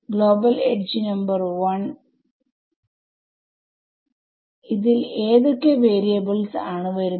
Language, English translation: Malayalam, Global edge number 1, what all variables would have come